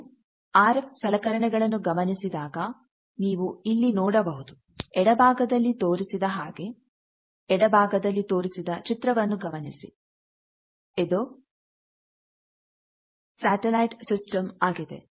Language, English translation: Kannada, When you see that where the RF things are placed, this shows typically the left side is showing, you see this left side diagram is a satellite system